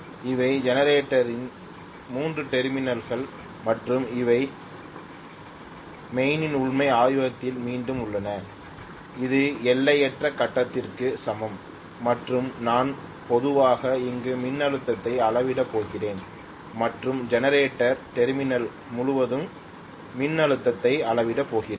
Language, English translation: Tamil, Now I have these are the 3 terminals of the generator and here are my mains which is actually in the laboratory again, this is equivalent to infinite grid and I am going to normally measure the voltage here and measure the voltage across the generator terminals